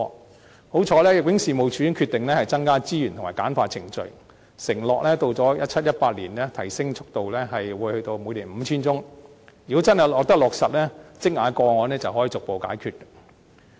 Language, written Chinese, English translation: Cantonese, 幸好，入境處已經決定增加資源及簡化程序，承諾到了 2017-2018 年度，速度將提升至每年完成審核 5,000 宗，如果真的得以落實，積壓的個案便可以逐步解決。, Fortunately the Immigration Department has decided to allocate more resources and streamline its procedures undertaking to increase its annual screening capacity to 5 000 cases by 2017 - 2018 . If the undertaking can really be fulfilled the backlog can be cleared step by step